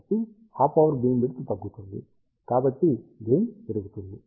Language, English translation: Telugu, So, half power beamwidth decreases hence gain will increase